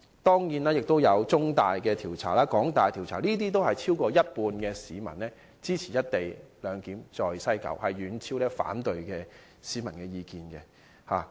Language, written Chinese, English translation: Cantonese, 當然，中大和港大的調查均顯示，有超過半數市民支持在西九站實施"一地兩檢"，遠超反對市民的意見。, Certainly both the survey of The Chinese University of Hong Kong and that of the Hong Kong University showed that more than half of the people supported the implementation of the co - location arrangement in WKS far exceeding the number of opposition views